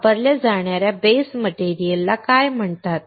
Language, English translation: Marathi, What is the base material that is used is called